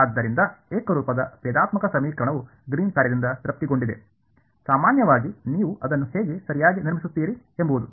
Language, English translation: Kannada, So, the homogeneous differential equation is satisfied by the Green’s function that in general is how you will construct it ok